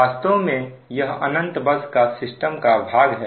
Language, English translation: Hindi, actually, this is infinite bus side